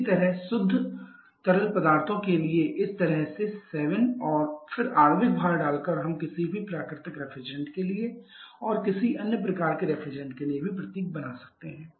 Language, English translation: Hindi, Similarly for pure fluids just like this way putting the 7 and then the molecular weight we can also form the symbols for any natural refrigerants and for similarly for any kinds of other refrigerants